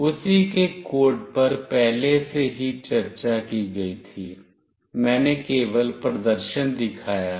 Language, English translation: Hindi, The code for the same was already discussed, I have just shown the demonstration